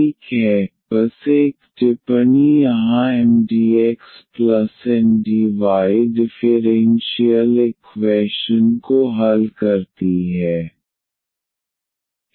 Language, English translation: Hindi, Well so, just a remark here the solution of the exact differential equation this Mdx plus Ndy